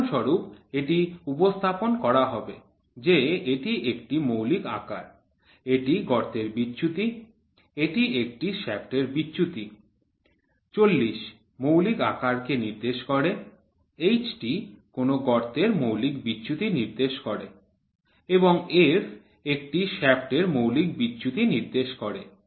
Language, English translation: Bengali, For example, it will be represented like this is a basic size this is the hole deviation this is a shaft deviation; 40 indicates the basic size, H indicates the fundamental deviation of a hole, f indicates the indicates the fundamental deviation of a shaft